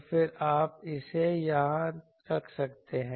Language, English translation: Hindi, So, then you can put it here